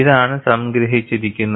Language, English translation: Malayalam, This is what is summarized